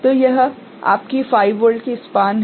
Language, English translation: Hindi, So, this is your span of 5 volt ok